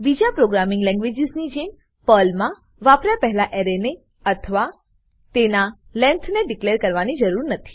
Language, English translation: Gujarati, Unlike other programming languages, there is no need to declare an array or its length before using it in Perl